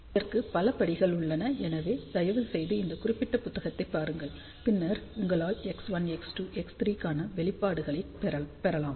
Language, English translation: Tamil, So, there are several steps are there, so please see this particular book and then you can actually get the expressions for X 1, X 2, X 3